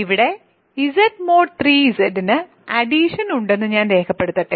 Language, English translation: Malayalam, So, let me record that here Z mod 3 Z has addition